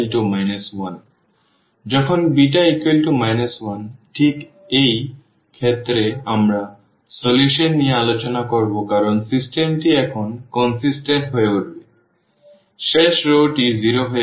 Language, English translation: Bengali, So, when beta is equal to minus 1, this is exactly the case where we will discuss about the solution because the system becomes consistent now; the last row has become 0